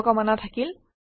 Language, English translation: Assamese, All the best